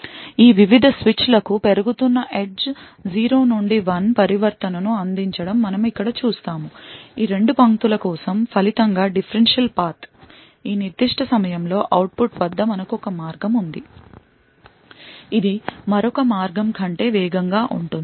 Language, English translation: Telugu, So thus we see over here that providing a rising edge 0 to 1 transition to these various switches would result in a differential path for these 2 lines and as a result, at the output at this particular point we have one path which is faster than the other